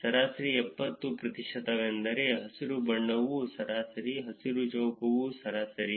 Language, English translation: Kannada, Average 70 percent is that the green one is the average, the green square is the average